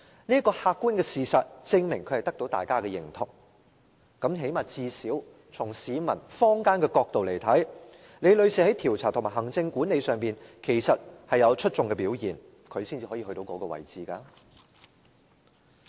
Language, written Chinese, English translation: Cantonese, 這個客觀事實證明她得到大家的認同，最低限度，從市民和坊間角度看來，李女士在調查和行政管理上其實有出眾的表現，才能做到那個位置。, This objective fact proves that her achievement was recognized by her colleagues and at least from the perspective of the public and the community Ms LI had an outstanding performance in her investigation and administrative work which enabled her to hold that post